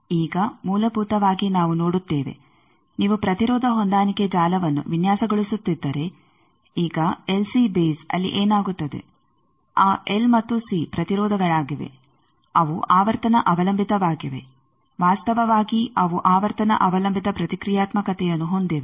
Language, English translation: Kannada, Now, basically we will see that if you are designing an impedance matching network, now LC base there what happens that L and C they are impedances, they are frequency dependant actually they have reactance which are frequency dependant